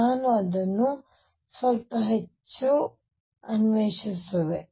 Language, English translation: Kannada, Let me explore that a bit more